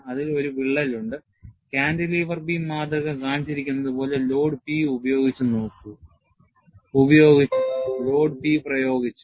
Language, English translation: Malayalam, You have a crack and the cantilever beam specimen is opened by the load P as shown